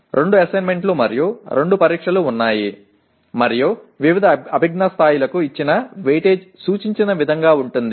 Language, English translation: Telugu, There are two assignments and two tests and the weightage as given for various cognitive levels is as indicated